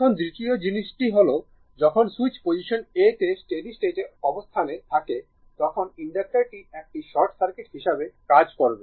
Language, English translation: Bengali, Now, second thing, when switch was in position a under steady state condition inductors act as a short circuit right